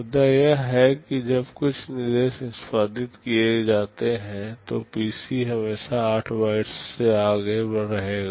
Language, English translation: Hindi, The point is that when some instruction is executed the PC will always be 8 bytes ahead